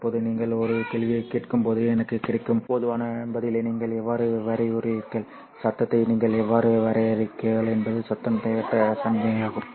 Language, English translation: Tamil, The most common answer that I get when I ask a question, how do you define noise, is that noise is an unwanted signal